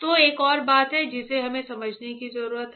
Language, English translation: Hindi, So, there is another thing that we need to understand alright